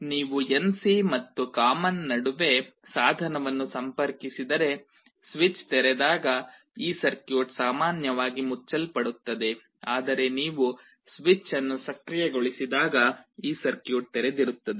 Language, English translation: Kannada, If you connect a device between NC and common, then when the switch is open this circuit is normally closed, but when you activate the switch this circuit will be open